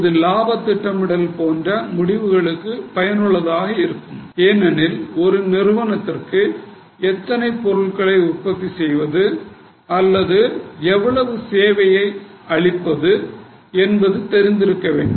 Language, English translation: Tamil, It is also useful for other decisions like profit planning because entity should know how much units it should produce or up to what level it should extend its service